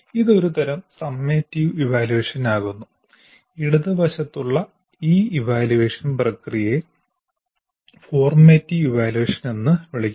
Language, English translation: Malayalam, This is a kind of summative evaluation I can call this and this process I can call it as formative evaluation